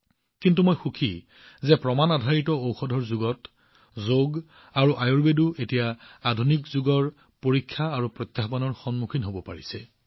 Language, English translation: Assamese, But, I am happy that in the era of Evidencebased medicine, Yoga and Ayurveda are now standing up to the touchstone of tests of the modern era